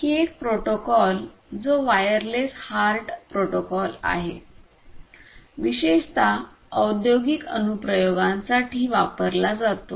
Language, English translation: Marathi, So, this wireless HART protocol is used particularly for industrial applications